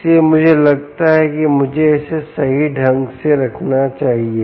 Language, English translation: Hindi, so i think i should put it down correctly before we go there